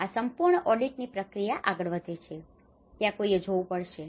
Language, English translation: Gujarati, So, this whole audit process goes on, and that is where one has to look at